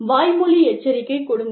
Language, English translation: Tamil, Give a verbal warning